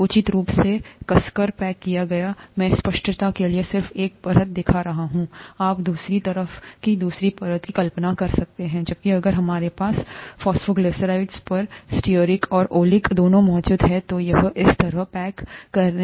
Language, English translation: Hindi, Reasonably tightly packed, I am just showing one layer for clarity, you can imagine the other layer on the other side; whereas if we have both stearic and oleic present on the phosphoglycerides, then it is going to pack like this